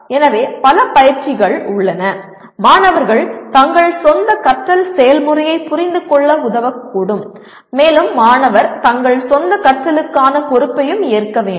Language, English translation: Tamil, So there are several exercises that would be, could help students to understand their own learning process and the student should also take responsibility for their own learning